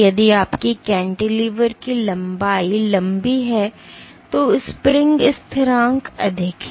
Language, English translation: Hindi, If your cantilever length is long then the spring constant is high